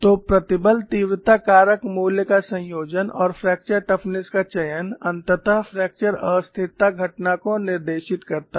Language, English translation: Hindi, So, the combination of stress intensity factor value, and the selection of fracture toughness ultimately dictates the fracture instability phenomenon